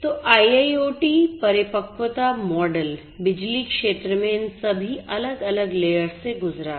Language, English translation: Hindi, So, IIoT maturity model has gone through all of these different layers in the power sector